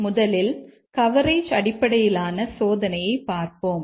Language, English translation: Tamil, First, let's look at the coverage based testing